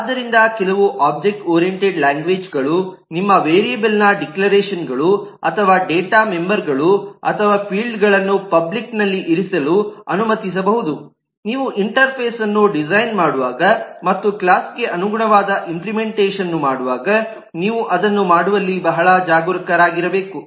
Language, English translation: Kannada, So, even though some object oriented languages might allow your eh, variable declarations or data, members or fields to be put in the public view, you should be very careful in terms of doing that while you are designing an interface and the corresponding implementation of the class